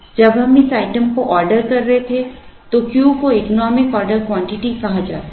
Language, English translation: Hindi, When we were ordering this item the Q was called economic order quantity